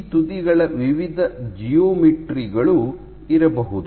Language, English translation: Kannada, So, you can have various geometries of these tips